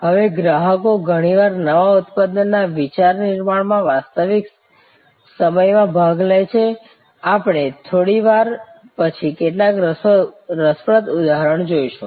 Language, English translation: Gujarati, Now, customers often participate in real time in new product idea creation, we will see some interesting example say a little later